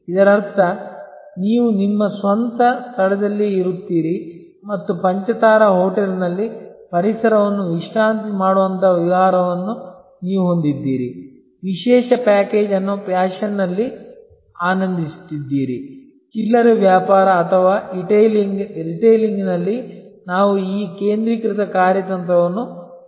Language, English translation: Kannada, That means, you stay at your own place and you have a vacation like relaxing environment in a five star hotel enjoying a special package also in fashion whether in retailing or etailing we are seeing this focused strategy coming up